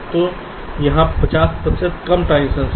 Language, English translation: Hindi, so it is fifty percent less transitions